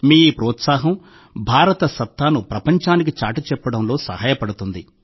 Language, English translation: Telugu, So keep up the momentum… this momentum of yours will help in showing the magic of India to the world